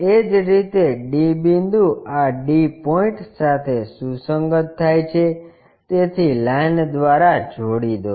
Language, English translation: Gujarati, Similarly, d point this one and this d point coincides, so join by line